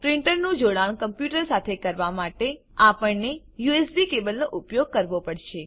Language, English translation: Gujarati, To connect a printer to a computer, we have to use a USB cable